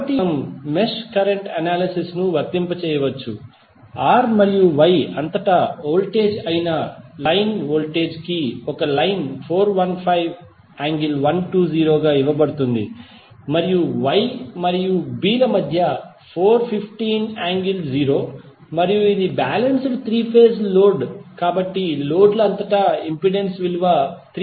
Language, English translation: Telugu, So, here also we can apply the mesh current analysis, the voltage a line to line voltage that is voltage across these two terminals is given as 415 angle 120 degree and between these two nodes is 415 angle 0 degree and this is balanced 3 phase load, so the impedance is across the loads is 3 plus 4j ohm